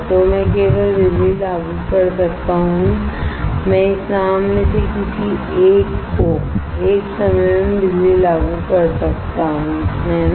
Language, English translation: Hindi, So, I can only apply power I can only apply power at a time to one of this boat to one of this boat, right